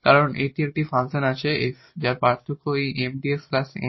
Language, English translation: Bengali, So, that we can construct such a f whose differential is exactly equal to this Mdx plus Ndy